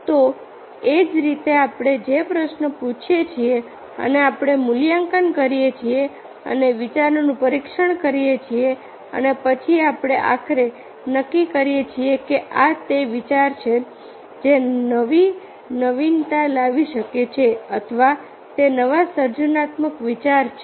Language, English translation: Gujarati, so, likewise, the question, we ask the questions and we evaluate and test the ideas and then we, finally, we freeze that this is the idea which can be a new, new innovation or it is a new creative ideas